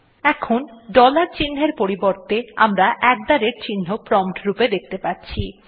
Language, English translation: Bengali, Now instead of the dollar sign we can see the at the rate sign as the prompt